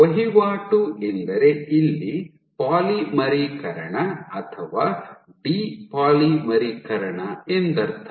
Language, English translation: Kannada, By turn over I mean either polymerization or de polymerization